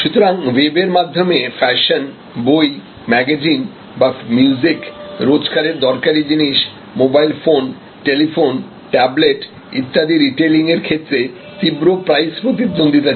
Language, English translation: Bengali, So, fashion retailing on the web a books and periodicals and music retailing on the web, different types of house old stuff retailing on the web, mobile phone, a telephone, tablet retailing on the web, intense price competition